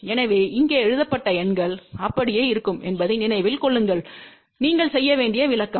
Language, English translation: Tamil, So, remember that the numbers which are written here will remain same; interpretation you have to do